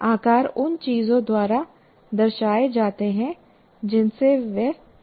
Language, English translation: Hindi, And here sizes are represented by some of the things that we are familiar with